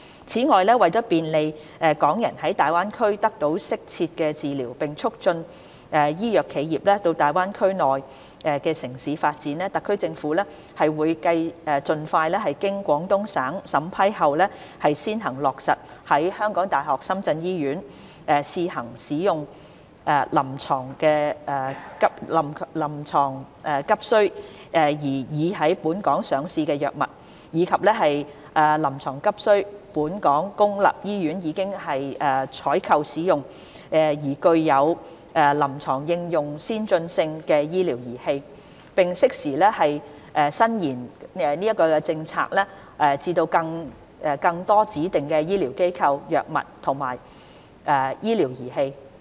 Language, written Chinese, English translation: Cantonese, 此外，為便利港人在粵港澳大灣區內得到適切治療並促進醫藥企業到大灣區內地城市發展，特區政府會盡快經廣東省審批後先行落實在香港大學深圳醫院試行使用臨床急需、已在本港上市的藥物，以及臨床急需、本港公立醫院已採購使用、具有臨床應用先進性的醫療儀器；並適時延伸政策至更多指定醫療機構、藥物及醫療儀器。, To facilitate Hong Kong residents to seek suitable healthcare services in the Guangdong - Hong Kong - Macao Greater Bay Area and attract medical and pharmaceutical enterprises to expand businesses in the Mainland cities of the Greater Bay Area the Hong Kong Special Administrative Region Government will implement as soon as possible the measure of using Hong Kong - registered drugs with urgent clinical use and medical devices used in Hong Kong public hospitals with urgent clinical use and advanced clinical applications at the University of Hong Kong - Shenzhen Hospital HKU - SZH on a trial basis subject to the approval of the Guangdong Province and extend the policy to cover more designated healthcare institutions drugs and medical devices in a timely manner